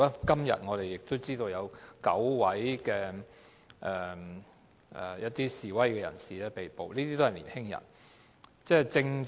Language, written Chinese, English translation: Cantonese, 今天，我們知悉有9名示威人士被捕，他們都是年青人。, Today we learnt that nine protesters all of them being young people were arrested